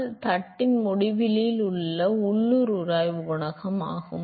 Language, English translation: Tamil, So, that is the local friction coefficient at the end of the plate its